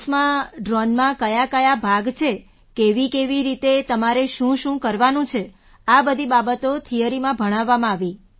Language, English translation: Gujarati, In the class, what are the parts of a drone, how and what you have to do all these things were taught in theory